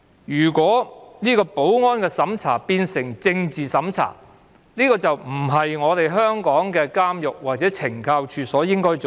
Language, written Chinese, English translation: Cantonese, 如果保安審查變成政治審查，這就並非香港的監獄或懲教署該做的事。, Hong Kongs prisons or CSD should not turn security screening into political screening